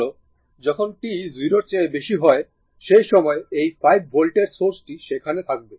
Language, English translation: Bengali, Now, for t ah ah for t greater than 0 at that time this 5 volt source will be there right